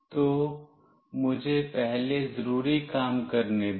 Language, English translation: Hindi, So, let me first do the needful